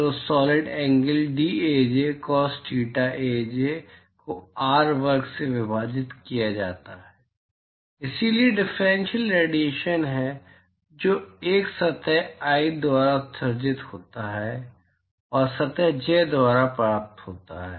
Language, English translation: Hindi, So, the solid angle is dAj cos thetaj divided by R square, so that is the differential radiation that is emitted by a surface i and is received by surface j